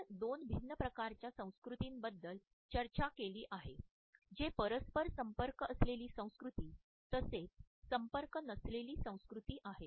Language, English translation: Marathi, We have discussed two different types of cultures which are the contact culture as well as the non contact culture